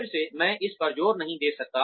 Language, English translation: Hindi, Again, I cannot stress on this enough